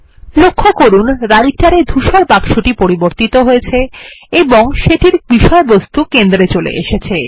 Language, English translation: Bengali, Press enter Notice the Writer gray box has refreshed and the contents are centered